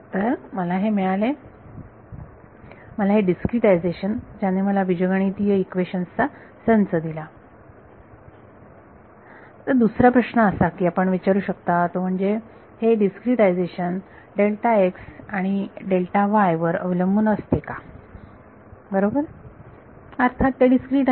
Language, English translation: Marathi, So, I have got this I got this discretization which is given me system of algebraic equation, another question that you can ask is this discretization depends on delta x and delta t right; obviously, that is the discrete